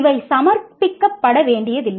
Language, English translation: Tamil, These need not be submitted